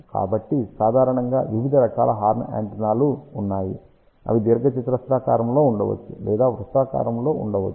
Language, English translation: Telugu, So, typically there are different types of horn antennas that could be in rectangular shape or it can be in the shape of circular